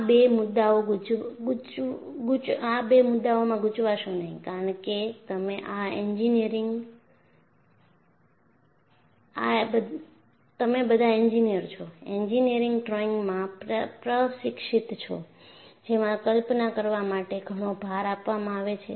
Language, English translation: Gujarati, So, do not confuse these two issues, because you are all engineers, trained in engineering drawing, where lot of emphasize is given for visualization